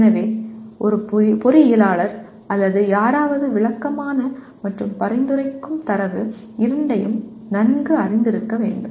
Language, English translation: Tamil, So an engineer or anyone should be familiar with both descriptive and prescriptive data